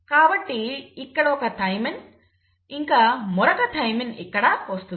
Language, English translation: Telugu, So this will put a thymine here and a thymine here